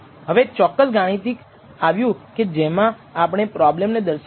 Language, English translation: Gujarati, Now, comes the exact mathematical form in which we state this problem